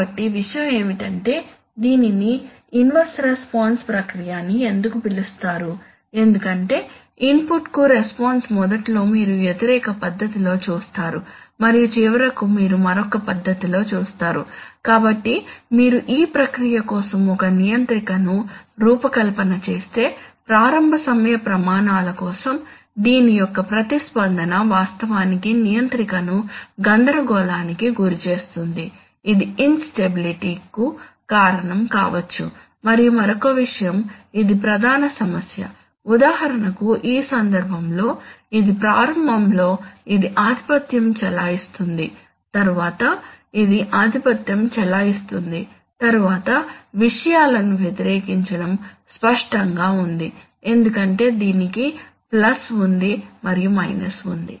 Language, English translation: Telugu, So the thing is that, you, why it is called an inverse response process because the response to an input initially you see in an opposite fashion and finally you seen a in another fashion, so if you design a controller for this process then for the initial time scales this is going to be the response of this will actually confuse the controller, this is and might cause in stability and other thing this is the main problem, for example in this case why is the, why is it supposed to be dominated by this initially and dominated by this later on, opposing things are is clear because it there is plus and there is a minus